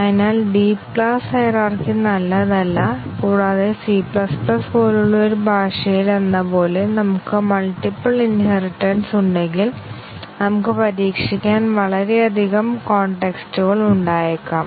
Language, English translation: Malayalam, So, a deep class hierarchy is not good and also if we have multiple inheritances as in a language such as C++, then we might have too many contexts to test